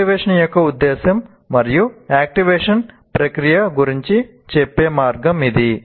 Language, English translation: Telugu, So this is the most appropriate way of saying about the purpose of activation and the process of activation